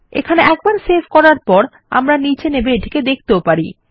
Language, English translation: Bengali, Okay so once I save here, we can come down and see this here